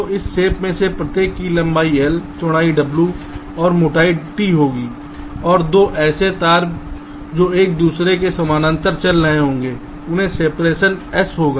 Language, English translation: Hindi, so each of this shape will be having a length l, a width w and a thickness t, and two such wires running parallel to each other will be having a separation s